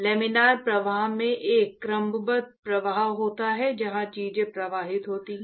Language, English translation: Hindi, The Laminar flow is has an ordered flow where things flow in streamlines